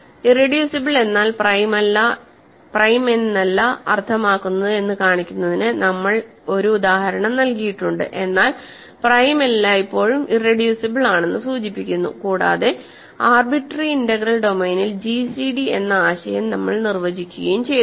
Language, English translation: Malayalam, We have given an example to show that irreducible does not mean prime, but prime always implies irreducible and we have defined the notion of gcd in an arbitrary integral domain